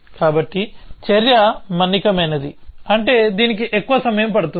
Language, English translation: Telugu, So, the action is durative, it means it takes that much amount of time